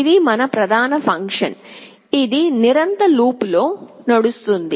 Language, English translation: Telugu, This is our main function that runs in a continuous while loop